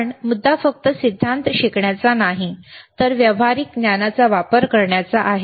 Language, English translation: Marathi, But the point is not only to learn theory, but to use the practical knowledge